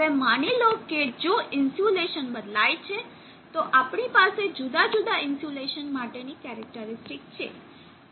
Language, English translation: Gujarati, Now suppose if the insulation varies, so we have the changed characteristic for a different insulation